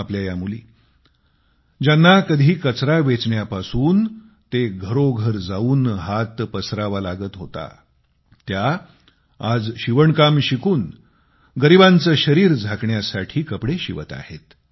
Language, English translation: Marathi, Our daughters, who were forced to sift through garbage and beg from home to home in order to earn a living today they are learning sewing and stitching clothes to cover the impoverished